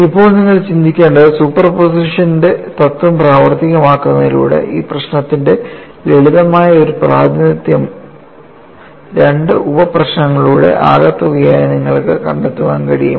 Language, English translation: Malayalam, Now, what you will have to think is by invoking principle of superposition, can you find out a simpler representation of this problem as some of two sub problems